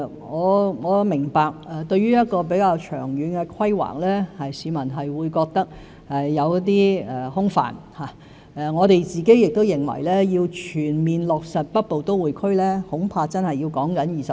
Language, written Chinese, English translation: Cantonese, 我明白對於一項比較長遠的規劃，市民會覺得有些空泛，我們亦認為要全面落實北部都會區，恐怕真的需時20年。, I understand that the public may feel that a relatively long term plan is a bit vague and we are afraid that it will really take 20 years to fully implement the Northern Metropolis Development